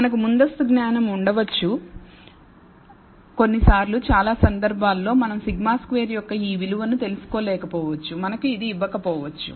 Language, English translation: Telugu, We may have a priori knowledge sometimes in most cases we may not be able to know this value of sigma squared we may not be given this